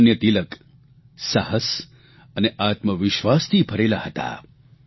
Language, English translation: Gujarati, Lokmanya Tilak was full of courage and selfconfidence